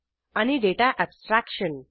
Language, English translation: Marathi, and Data abstraction